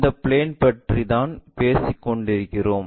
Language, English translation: Tamil, This is the plane what we are talking about